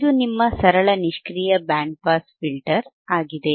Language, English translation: Kannada, This is your simple passive band pass filter